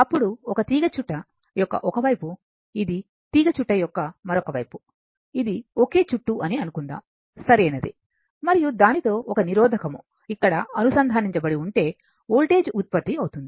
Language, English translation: Telugu, Then, this coil this is one side of the coil, this is other side of the coil assuming it is a single turn, right and with that one there is one resistor is connected here such that proper whether voltage is generated